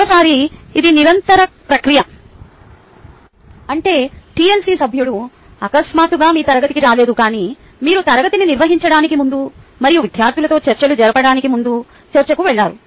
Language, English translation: Telugu, and once again, it was a continuous process, which means that the tlc member did not come ah to your class all of a sudden, but went through ah discussion before you actually conducted the class and had discussion with students as well, doing all of this discussion